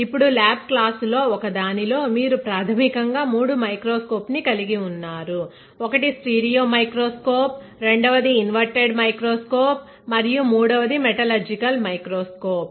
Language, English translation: Telugu, Now, you may have already seen in one of the lab class that we have basically three microscopes; one is a stereo microscope, second one is a inverted microscope and third one is a metallurgical microscope, correct